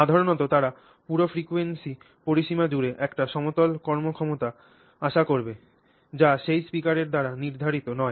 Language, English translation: Bengali, So, this is and usually they will expect a flat performance across this entire frequency range which is not colored by that speaker